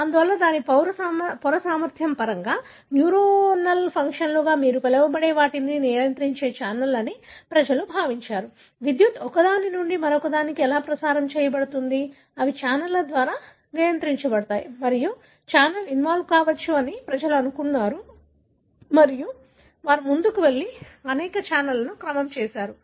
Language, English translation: Telugu, Therefore, people thought it is the channels that regulate the, what you call as the neuronal functions in terms of its membrane potential, how the electricity is passed on from one to the other, these are regulated by channels and people thought the channel could be involved and they went ahead and sequenced many of the channels